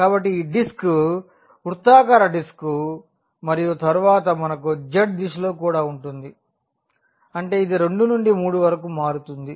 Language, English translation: Telugu, So, that is the disc circular disc and then we have in the direction of z as well; that means, it varies from 2 to 3